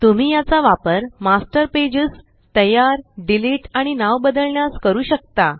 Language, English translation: Marathi, You can use this to create, delete and rename Master Pages